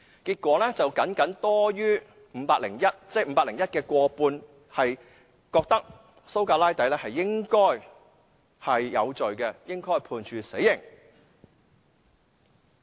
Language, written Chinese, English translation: Cantonese, 結果 ，501 名市民的僅僅過半數認為蘇格拉底應該有罪，應該被判處死刑。, The verdict was just over half of the 501 citizens considered SOCRATES guilty and should be sentenced to death